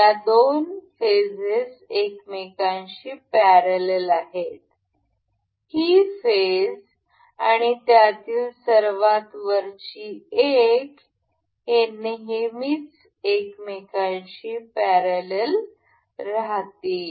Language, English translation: Marathi, The two phases are parallel to each other, this phase and the top one of this, they will always remain parallel to each other